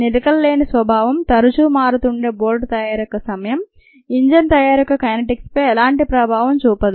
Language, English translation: Telugu, the unsteady nature, time varying nature of bolt manufacture does not affect the kinetics of enzyme of engine manufacture